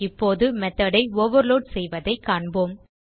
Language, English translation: Tamil, Let us now see how to overload method